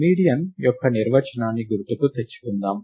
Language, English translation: Telugu, Let us just recall the definition of the median